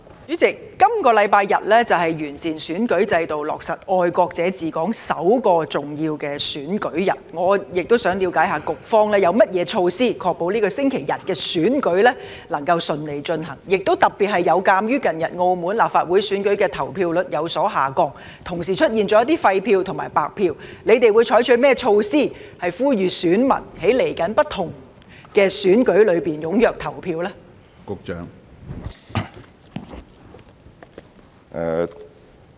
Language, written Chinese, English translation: Cantonese, 主席，本星期日是完善選舉制度、落實"愛國者治港"後的首個重要選舉日，我亦想了解局方有何措施確保本星期日的選舉能夠順利進行，特別有鑒於近日澳門立法會選舉的投票率有所下降，同時出現一些廢票和白票，他們會採取甚麼措施，呼籲選民在接下來的不同選舉中踴躍投票呢？, President this Sunday will be the first important polling day after the implementation of patriots administering Hong Kong under the improved electoral system . I would also like to know what measures the Bureau has in place to ensure the smooth conduct of the elections to be held this Sunday . In particular in view of the drop in the voter turnout rate as well as the presence of some invalid and blank votes in the election of the Legislative Council of Macao held recently what measures will they take to appeal to the electors to come out to cast their votes in the upcoming elections?